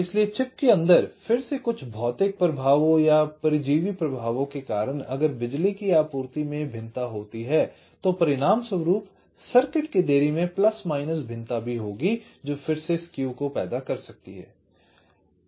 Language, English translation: Hindi, so because of some again physical affect inside the chip, parasite affect, if there is a variation in the power supply, there will also be a plus minus variation in the delay of the resulting circuit